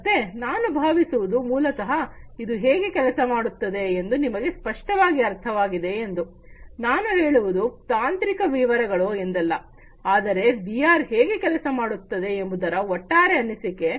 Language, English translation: Kannada, So, I hope that this basically makes it clearer to you how it is going to work, not I mean not the technical details of it, but an overall impression about how VR works